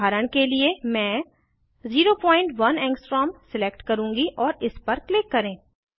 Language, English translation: Hindi, For example, I will select 0.1 Angstrom and click on it